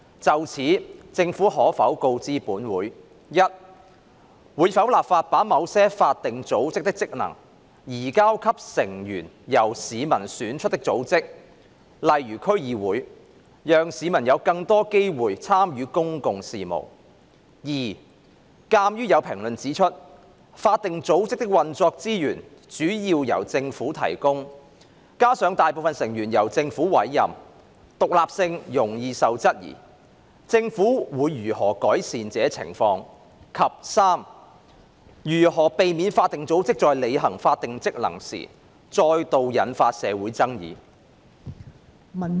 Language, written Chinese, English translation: Cantonese, 就此，政府可否告知本會：一會否立法把某些法定組織的職能，移交給成員由市民選出的組織，讓市民有更多機會參與公共事務；二鑒於有評論指出，法定組織的運作資源主要由政府提供，加上大部分成員由政府委任，獨立性容易受質疑，政府會如何改善這情況；及三如何避免法定組織在履行法定職能時再度引發社會爭議？, In this connection will the Government inform this Council 1 whether it will enact legislation to transfer the functions of certain statutory bodies to those bodies with their members elected by members of the public so that members of the public will have more opportunities to participate in public affairs; 2 as there are comments that given the resources for operating the statutory bodies being mainly provided by the Government coupled with the fact that a majority of their members are appointed by the Government the independency of these statutory bodies is prone to be questioned how the Government will improve this situation; and 3 of the ways to avoid controversies being caused in society again by statutory bodies when they discharge their statutory functions?